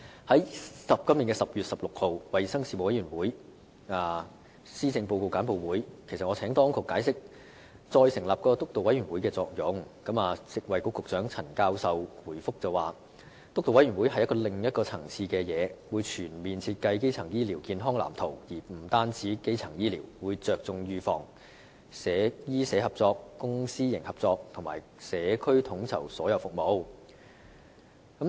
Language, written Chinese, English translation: Cantonese, 在今年10月16日衞生事務委員會的施政報告簡報會上，我已請當局解釋再成立督導委員會的作用，而食物及衞生局局長陳教授回覆時指，督導委員會屬另一層次，負責全面設計基層醫療健康藍圖，而且不單包括基層醫療，更會着重預防、醫社合作、公私營合作，以及在社區統籌所有服務。, At the briefing on the Policy Address in the Panel on Health Services on 16 October this year I asked the authorities to explain the purpose of establishing this steering committee . The Secretary for Food and Health Prof Sophia CHAN said in reply that the steering committee belongs to another level and is responsible for producing a comprehensive design of the primary health care blueprint which not only includes primary health care but also emphasizes prevention medical - social collaboration public - private partnership and coordination of all services by the community